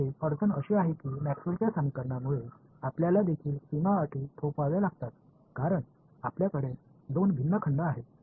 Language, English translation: Marathi, The trouble over here is that Maxwell’s equations have to you also have to impose boundary conditions right, because you have two different volumes right